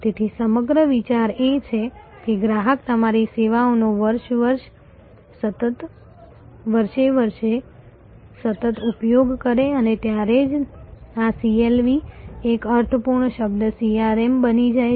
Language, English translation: Gujarati, So, the whole idea is to have a customer continuously utilizing your services year after year and that is when this CLV becomes a meaningful term a CRM